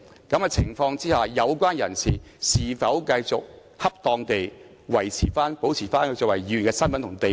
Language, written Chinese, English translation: Cantonese, 在這種情況下，有關人士是否繼續恰當地維持、保持作為議員的身份和地位？, In that case does the party concerned continue to upkeep and maintain his capacity and status as a Member properly?